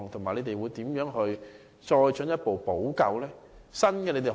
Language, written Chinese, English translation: Cantonese, 你們會如何作進一步補救？, What remedial measures will it introduce?